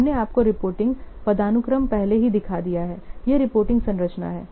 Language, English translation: Hindi, We have already shown you the reporting hierarchy